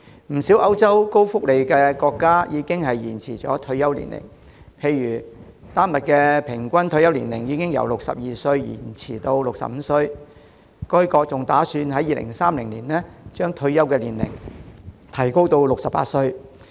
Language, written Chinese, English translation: Cantonese, 不少歐洲高福利國家已延展退休年齡，例如丹麥的平均退休年齡已從62歲延展至65歲，該國還打算在2030年將退休年齡提高至68歲。, Many European countries with generous social welfare have extended the retirement age . For example the average retirement age in Denmark has been extended from 62 to 65 and it is also planned to increase the retirement age to 68 in 2030